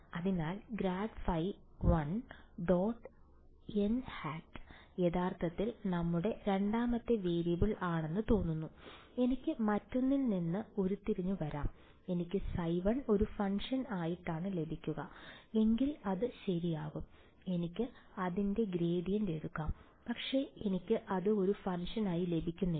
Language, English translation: Malayalam, So, grad phi 1 dot n hat is actually your second variable it looks like, I can derived one from the other that would be true if I were getting phi 1 is the function, then I can take its gradient, but I am not getting it as the function